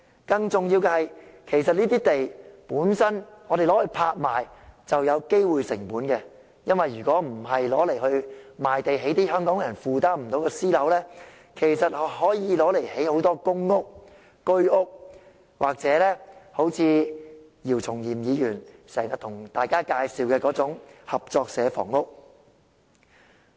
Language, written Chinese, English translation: Cantonese, 更重要的是，如果我們把這些土地拍賣，便會產生機會成本，因為那些土地如果不賣給發展商來興建一些香港人負擔不來的私樓，其實可以用作興建大量公屋、居屋，或姚松炎議員經常向大家介紹的合作社房屋。, More importantly an opportunity cost will arise if those lots are auctioned because if not sold to developers to build private properties that Hong Kong people cannot afford they could have been used for the construction of a large number of PRH or HOS flats or cooperative housing often suggested by Dr YIU Chung - yim